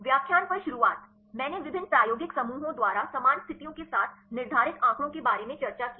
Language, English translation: Hindi, The beginning on the lecture, I discussed about the data determined by the different experimental groups with same conditions